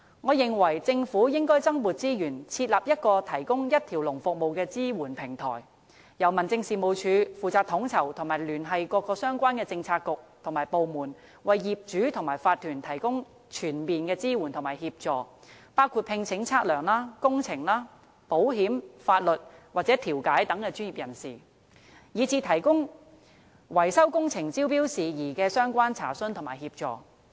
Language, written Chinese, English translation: Cantonese, 我認為，政府應該增撥資源，設立一個提供一條龍服務的支援平台，由民政事務總署負責統籌及聯繫政府各相關政策局與部門，為業主和法團提供全面支援和協助，包括聘請測量、工程、保險、法律和調解等專業人士，以至回答維修工程招標事宜的相關查詢和提供協助。, In my opinion the Government should allocate additional resources for setting up a one - stop support platform on which the Home Affairs Department coordinates and liaises with various Policy Bureaux and departments within the Government for providing all - round support and assistance to property owners and owners association which includes the hiring of professionals in such areas as surveying engineering insurance legal and mediation on top of giving assistance in inviting tenders for maintenance works and answering enquiries relevant to tender invitation